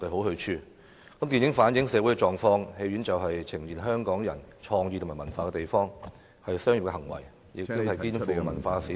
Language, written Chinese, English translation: Cantonese, 電影能夠反映社會狀況，電影院更是呈現香港人的創意和文化的地方，經營電影院屬於商業行為，亦肩負文化使命......, Movies can reflect social situations and cinemas are places where Hong Kong peoples creativity and culture are presented . The operation of cinemas is a commercial activity and a cultural mission